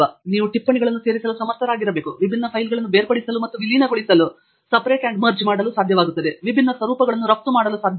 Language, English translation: Kannada, You should be able to add notes, you should be able to split and merge different files, should be able to export different formats